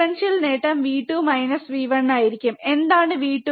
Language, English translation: Malayalam, Differential gain will be V 2 minus V 1, what is V 2